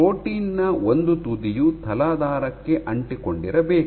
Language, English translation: Kannada, So, one end of the protein must remain attached to the substrate